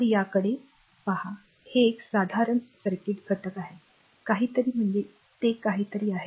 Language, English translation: Marathi, So, this one look at this one this is a simple circuit element say something it is say it is something